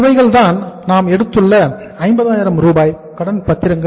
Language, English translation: Tamil, These are the debentures here we have taken for the 50,000